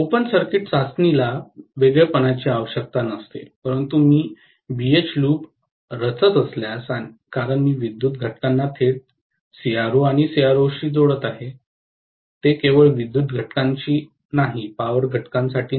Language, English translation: Marathi, Open circuit test does not require an isolation but if I am plotting a BH loop, because I am connecting the power components directly to the CRO and CRO is meant only for electronics components, not meant for power components